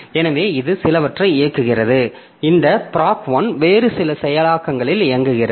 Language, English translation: Tamil, So, this is executing some, this proc 1 is executing on some other process, other processor